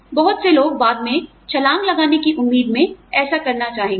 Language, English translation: Hindi, A lot of people, in the hope of getting a jump later, will want to do this